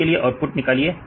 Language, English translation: Hindi, So, get the output